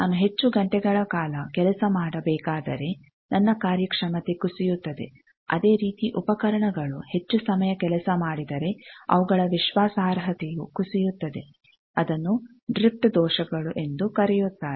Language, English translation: Kannada, So, suppose if I am to work for longer hours my performance will degrade, similarly instruments if they work longer then their reliability degrades that is called drift errors